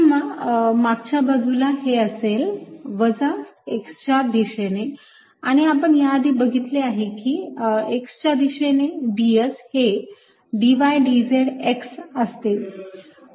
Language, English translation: Marathi, on at the backside is going to be in the direction minus x, and we've already seen that in the x direction d s is d y d z x